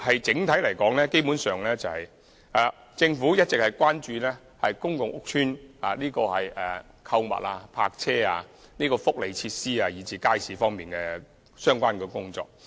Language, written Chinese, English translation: Cantonese, 整體而言，政府基本上一直關注公共屋邨的購物、泊車和福利設施，以至街市方面的相關工作。, Overall basically the Government has been paying attention to issues concerning shopping car parking and welfare facilities in public housing estates as well as tasks relating to markets